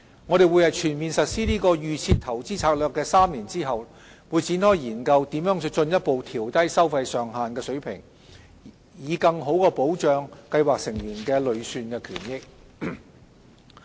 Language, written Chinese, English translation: Cantonese, 我們會在全面實施"預設投資策略"的3年後，展開研究如何進一步調低收費上限的水平，以更好保障計劃成員的累算權益。, We will after the DIS has been fully implemented for three years commence a study on how to further lower the level of the fee cap so as to better protect the accrued benefits of scheme members